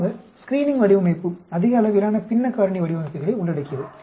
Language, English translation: Tamil, Generally the screening design involves lot of fractional factorial designs